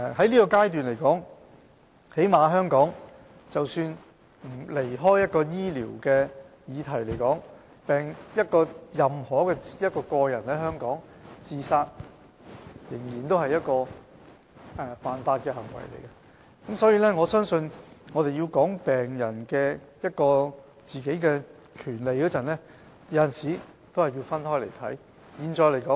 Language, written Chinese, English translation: Cantonese, 在現階段來說，或最低限度在香港來說，即使抽離醫療的議題，任何人在香港自殺仍屬違法行為，所以，我相信在談論病人權利時，我們有時候是需要分開來看的。, At the present stage or at least in Hong Kong putting aside the medical issues it is an offence for anyone to commit suicide in Hong Kong . Hence I think when discussing patients rights sometimes it is necessary to consider the issue separately